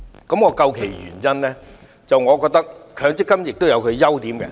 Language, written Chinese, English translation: Cantonese, 究其原因，我認為強積金有其優點。, In my opinion the reason is that MPF has certain merits